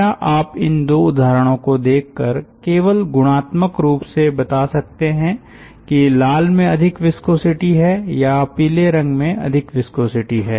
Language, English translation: Hindi, yeah, now can you tell from these two examples, just qualitatively, whether the red one has more viscosity or the yellow one has more viscosity